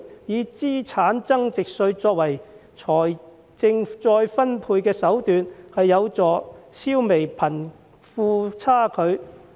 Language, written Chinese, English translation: Cantonese, 以資產增值稅作為財政再分配的手段，有助消弭貧富差距。, Capital gains tax can thus be used as the means of wealth redistribution to help to eradicate the disparity between the rich and the poor